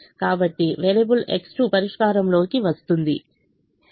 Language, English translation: Telugu, so variable x two comes into the solution